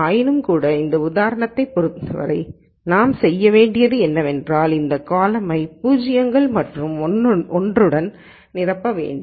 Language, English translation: Tamil, So, nonetheless as far as this example is concerned what we need to do is we have to fill this column with zeros and ones